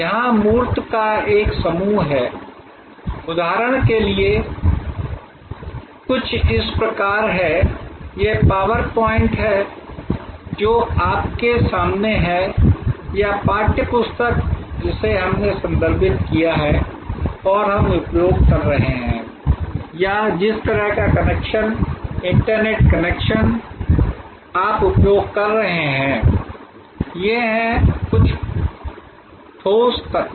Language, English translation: Hindi, There is a bunch of tangible here, there is some like for example, this PowerPoint which is in front of you or the text book that we have referred and we are using or the kind of connection, internet connection that you are using, these are certain tangible elements